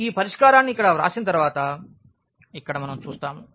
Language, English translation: Telugu, Here we do see once we have written this solution here